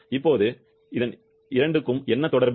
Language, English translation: Tamil, Now, what is the relation between the 2